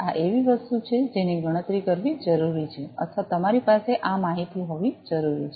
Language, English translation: Gujarati, This is something that is required to be calculated or to be you know you need to have this information